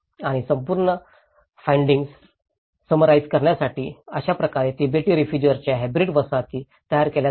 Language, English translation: Marathi, And to summarize the whole findings, this is how hybrid settlements of Tibetan refugees are produced